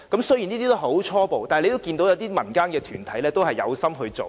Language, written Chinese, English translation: Cantonese, 雖然這些是很初步的構思，但可見民間團體有心做。, Although this is just a preliminary idea we can see the zeal of the organization